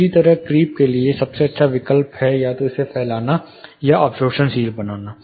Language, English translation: Hindi, Similarly, for creep, best alternate is to either diffuse it stagger it or create absorption